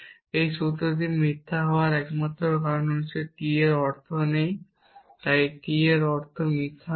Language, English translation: Bengali, The only reason why this formula becomes false is because of not of T is there so not of T meaning is false